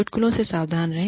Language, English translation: Hindi, Be cautious of jokes